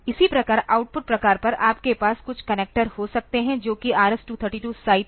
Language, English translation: Hindi, Similarly, on the output type you can have some connector to which this is RS232 site